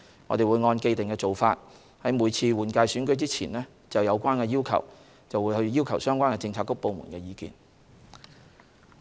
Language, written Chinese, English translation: Cantonese, 我們會按既定做法，在每次立法會換屆選舉前就有關要求，向相關政策局/部門索取意見。, We will in accordance with the established practice consult the relevant bureauxdepartments about such requests before each Legislative Council general election